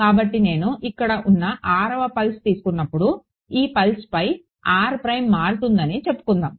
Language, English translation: Telugu, So, when I take let us say the 6th pulse over here r prime varies over this pulse